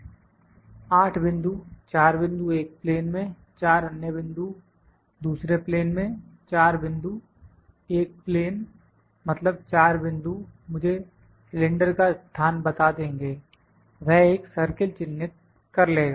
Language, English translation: Hindi, 8 points, 4 points in one plane, 4 other points in the second plane, 4 point, one plane means 4 point will give me the location of the cylinder of the it will mark one circle